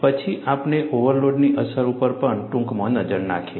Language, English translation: Gujarati, Then, we also had a brief look at the effect of overload